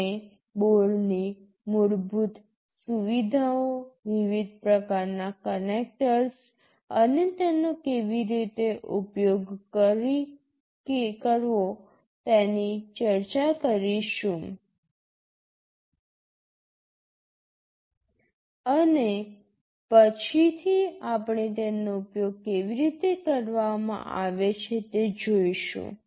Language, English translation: Gujarati, We shall be discussing the basic features of the boards, the different kind of connectors and how to use them, and subsequently we shall be seeing actually how they are put to use